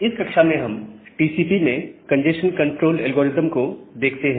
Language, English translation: Hindi, So, in this lecture, we look into the congestion control algorithms in TCP